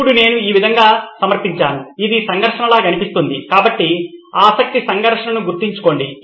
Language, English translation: Telugu, Now that I have presented in this way it started to sound like a conflict, right so remember the conflict of interest